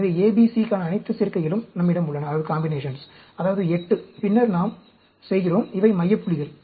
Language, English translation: Tamil, So, we have all the combinations for A, B, C, that is 8, and then, we do; these are the center points